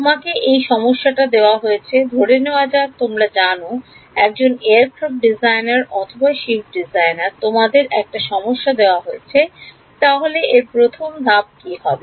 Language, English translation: Bengali, You are given this problem let us you know a aircraft designer or ship designer you are given this problem what would be step 1